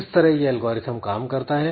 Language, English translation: Hindi, So, this is a good algorithmic software solution